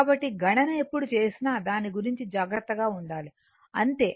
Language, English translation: Telugu, So, when you will do the calculation be careful about that so, that is all